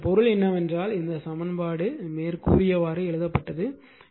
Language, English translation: Tamil, So, if you write like this, this is this this equation